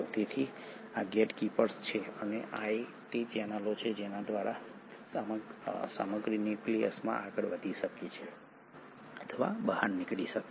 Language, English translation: Gujarati, So these are the gatekeepers and these are the channels through which the material can move in or move out of the nucleus